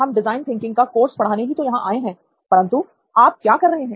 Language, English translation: Hindi, That is why we are here, to teach this course on design thinking, what exactly are you doing